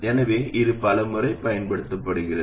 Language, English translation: Tamil, So, this is used many times